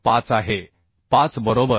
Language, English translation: Marathi, 8 so it is 5